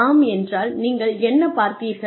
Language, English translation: Tamil, If yes, if it occurred, what did you see